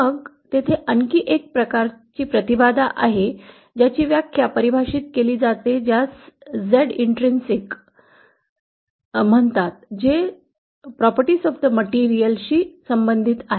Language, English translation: Marathi, Then there is also another kind of impedance that is defined which is called Z intrinsic which is related to the properties of the material